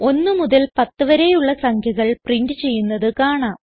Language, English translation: Malayalam, We see that, the numbers from 1 to 10 are printed